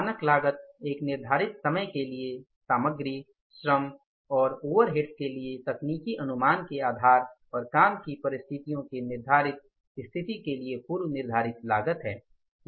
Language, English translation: Hindi, Is the pre determined cost based on a technical estimate for materials, labor and overheads for a selected period of time and for a prescribed set of the working conditions